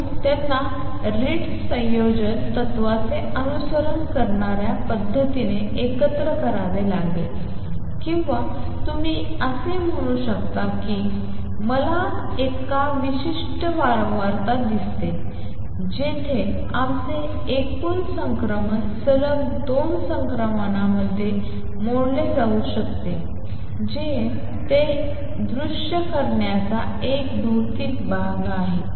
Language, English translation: Marathi, So, they have to be combined in a manner that follows Ritz combination principle or you can say I see one particular frequency where our total transition can be broken into two consecutive transitions that is a physical way of visualizing it